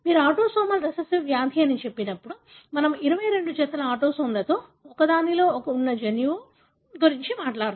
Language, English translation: Telugu, So, when you say autosomal recessive disease, we are talking about a gene that is located in one of the 22 pairs of autosomes